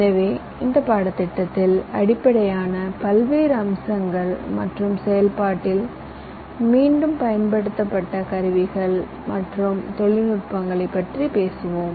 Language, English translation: Tamil, so during this course we shall basically be talking about the various aspects and the tools and technologies that reused in the process